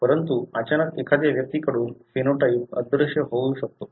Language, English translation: Marathi, But, all of a sudden the phenotype may vanish from an individual